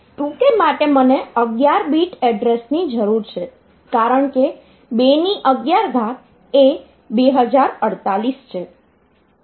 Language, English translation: Gujarati, So, for 2 k I need 11 bit of address because 2 power 11 is 2048